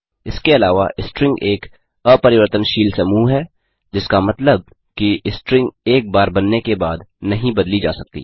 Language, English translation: Hindi, In addition string is an immutable collection which means that the string cannot be modified after it is created